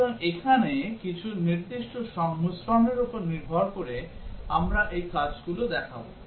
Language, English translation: Bengali, So then depending on some specific combinations here, we would display these actions